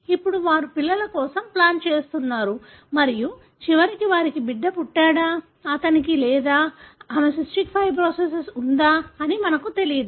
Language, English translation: Telugu, Now, they are planning for children and we don’t know whether eventually they have a child, whether he or she would have cystic fibrosis